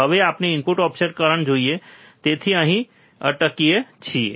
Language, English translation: Gujarati, Now let us see input offset current so, we stop here